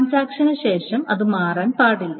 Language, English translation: Malayalam, Now, after the transaction, that should not be changing